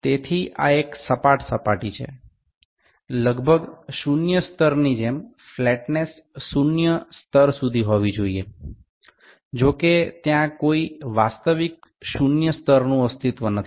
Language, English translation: Bengali, So, this is a flat surface the flatness has to be up to zero level like approximately zero levels; however, there is no zero actual zero level that exists